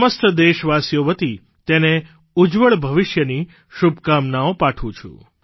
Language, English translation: Gujarati, On behalf of all countrymen, I wish her a bright future